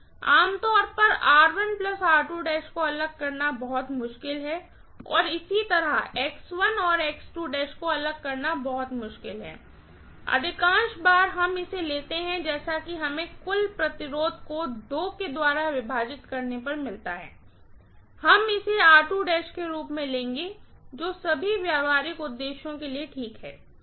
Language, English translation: Hindi, Generally it is very difficult to separate out R1 and R2 dash, similarly it is very difficult to separate out X1 and X2 dash, most of the times we take it as what we get as the total resistance, total resistance divided by 2, we will take as R1, similarly total resistance divided by 2 we will take it as R2 dash, which is okay for all practical purposes, right